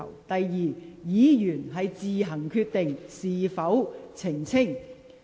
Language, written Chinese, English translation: Cantonese, 第二，有關議員可自行決定是否作出澄清。, Second that Member can decide whether to clarify